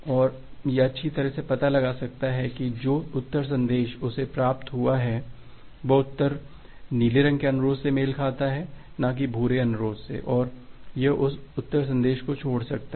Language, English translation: Hindi, And it can find out that well the reply message that it has received it is the reply corresponds to the blue request and not the brown request and it can correctly drop that particular reply message